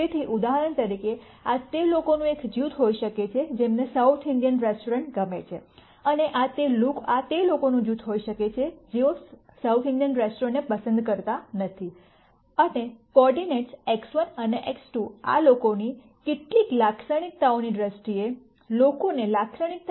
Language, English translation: Gujarati, So, for example, this could be a group of people who like South Indian restaurants and this could be a group of people, who do not like South Indian restaurants, and the coordinates X 1 and X 2 could be some way of characterizing people in terms of some attributes of these folks